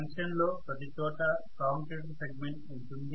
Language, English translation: Telugu, Everywhere in the junction there is going to be a commutator segment